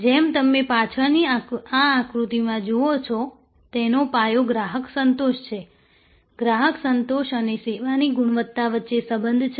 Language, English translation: Gujarati, As you see in this diagram at the back, the foundation is customer satisfaction; there is a correlation between customer satisfaction and service quality